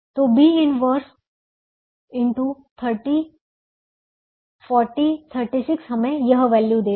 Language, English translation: Hindi, so b inverse into thirty, forty, thirty six will give us this value